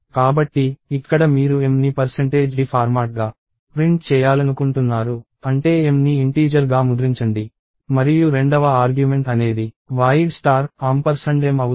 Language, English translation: Telugu, So, here you want m printed as percentage d format, which means print m as an integer and the second argument is void star ampersand of m